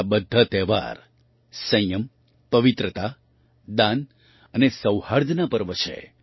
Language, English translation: Gujarati, All these festivals are festivals of restraint, purity, charity and harmony